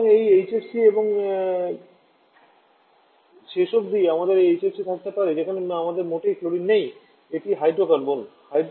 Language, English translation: Bengali, So it is HCFC and finally we can have HFC where we do not have chlorine at all, it is hydrofluorocarbon